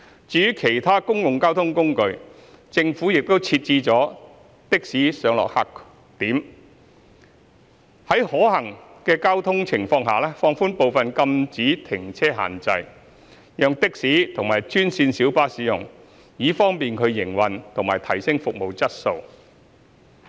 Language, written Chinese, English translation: Cantonese, 至於其他公共交通工具，政府亦設置了的士上落客點，並在交通情況可行下放寬部分禁止停車限制，讓的士及專線小巴使用，以方便他們營運及提升服務質素。, As for other modes of public transport the Government has designated taxi pick - updrop - off points and where traffic situations allow relaxed some no - stopping restrictions for taxis and green minibus to pickupdrop - off passengers in order to facilitate their operation and enhancement of service quality